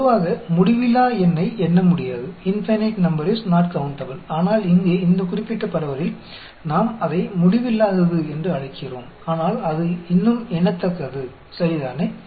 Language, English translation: Tamil, Normally, infinite number is not countable; but here, in this particular distribution, we call it infinite, but it is still countable, ok